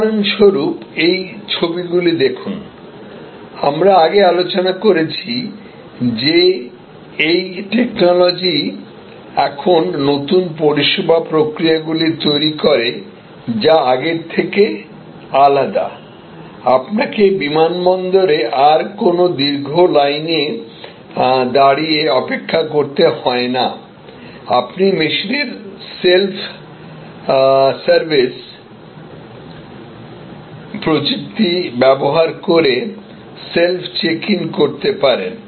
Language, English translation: Bengali, Or for example, take these shots that we discussed before that these technologies therefore create now service processes, which are different from before, you do not have to queue up any more, long queue at the airport; you can do self check in using the self service technology offered by this machine